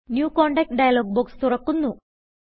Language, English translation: Malayalam, The New Contact dialog box appears